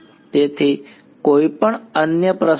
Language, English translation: Gujarati, So, any other questions ok